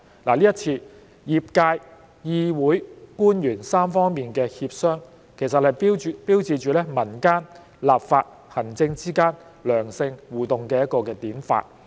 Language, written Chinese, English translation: Cantonese, 這一次業界、議會、官員3方面的協商，其實標誌着民間、立法、行政之間良性互動的典範。, In this exercise the tripartite negotiation among the profession the legislature and the officials actually marks an exemplary model of constructive interaction among the public the legislature and the executive authorities